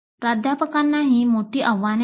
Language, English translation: Marathi, And there are key challenges for faculty also